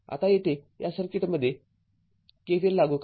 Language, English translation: Marathi, So, apply KVL in the circuit